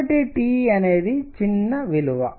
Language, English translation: Telugu, So, T is small